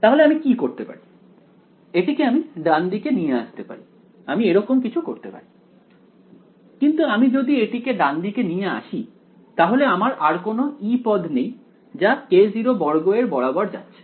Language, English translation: Bengali, So, what can I do, this move it to the right hand side I can do something like that, but if I move it to the right hand side I no longer have a E term to go along with k naught squared